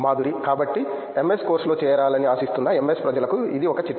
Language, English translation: Telugu, So, this is a tip for the MS people who are aspiring to join for MS course